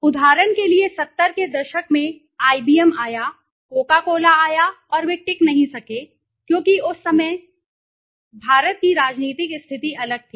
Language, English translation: Hindi, For example, in the 70s IBM came, Coco cola came and they could not sustain because at that time the political condition of India was different, right